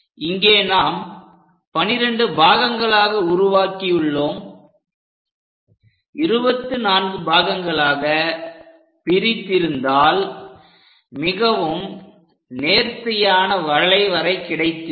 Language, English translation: Tamil, So, we make 12 divisions, we can have 24 divisions and so on so that a better curve can be tracked